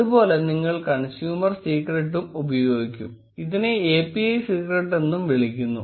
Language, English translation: Malayalam, Similarly, you will be using the consumer secret, which is also called the API secret